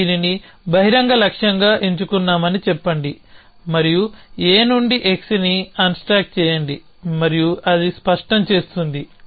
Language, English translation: Telugu, So, let us say that we choose this as an open goal and we say unstack something x from A and that will make it clear